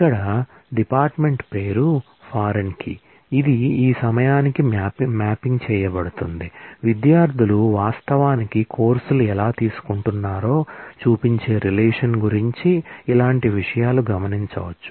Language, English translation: Telugu, Here department name is the foreign key which is mapping to this point, similar things can be observed about the takes relationship which show how students are actually taking courses